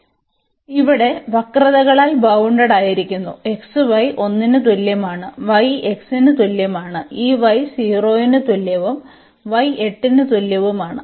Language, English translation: Malayalam, So, bounded by the curves here x y is equal to 1, y is equal to x and this y is equal to 0 and y is equal to 8